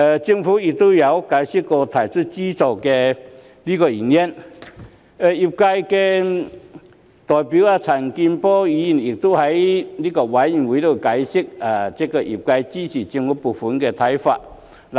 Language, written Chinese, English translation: Cantonese, 政府曾經解釋提供資助的原因，而業界代表陳健波議員亦在法案委員會上解釋了業界支持政府撥款的看法。, The Government has explained the reasons for providing subsidies whereas the industry representative Mr CHAN Kin - por has also explained at the Bills Committee the industrys position in supporting the government funding